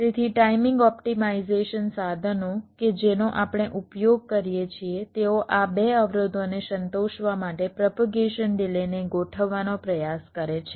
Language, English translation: Gujarati, so the timing optimization tools that we use, they try to adjust the propagation delays to satisfy these two constraints